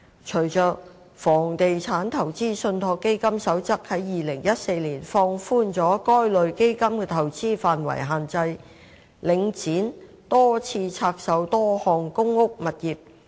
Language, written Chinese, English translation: Cantonese, 隨着《房地產投資信託基金守則》於2014年放寬了該類基金的投資範圍限制，領展多次拆售多項公屋物業。, Following the relaxation in 2014 of the constraints under the Code on Real Estate Investment Trusts regarding the investment scope of this type of trusts Link REIT repeatedly divested a number of properties in PRH estates